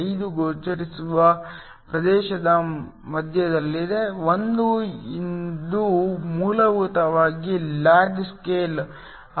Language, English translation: Kannada, 5 is in the middle of the visible region 1 this is essentially a log scale